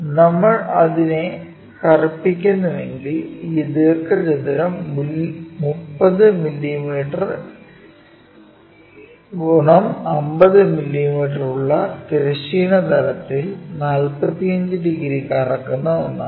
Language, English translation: Malayalam, So, if we are darkening it, the rectangle is taking 30 mm, 50 mm resting it smallerah length, breadth on the horizontal plane and rotating it by 45 degrees